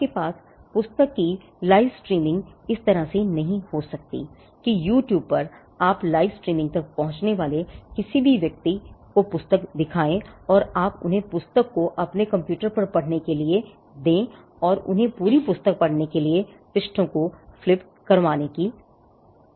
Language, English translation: Hindi, You cannot have a live streaming of the book in such a way that somebody who has access to your live streaming say on YouTube is watching the book and you are just letting them read the book through your computer and flipping pages for them to read the complete book